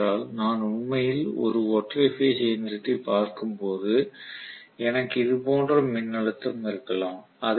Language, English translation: Tamil, This is only because when I actually look at a single phase machine I may have voltage somewhat like this